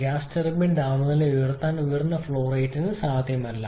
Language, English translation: Malayalam, It is not possible for the gas turbine to raise the temperature